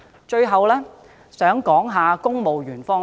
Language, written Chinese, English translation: Cantonese, 最後，我想談談公務員方面。, Lastly I wish to talk about the Civil Service